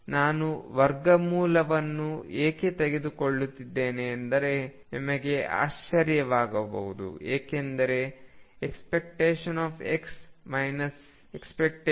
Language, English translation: Kannada, You may wonder why I am taking the square root, because you see expectation value of x minus mod x is 0